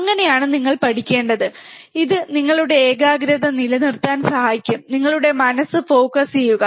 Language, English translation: Malayalam, That is how you should study, it will help to keep our concentration and keep our mind focus